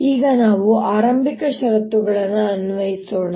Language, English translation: Kannada, now let's apply the initial conditions